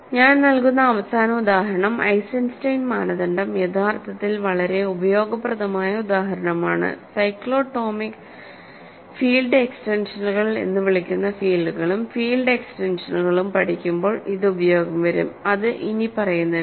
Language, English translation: Malayalam, So, the final example I will give for Eisenstein criterion which is actually a very useful example and it will come when we study fields and field extensions called cyclotomic field extensions and this is the following